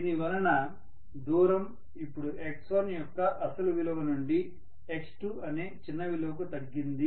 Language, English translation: Telugu, Because of which may be the distance has reduced now from original value of x1 to a smaller value which is x2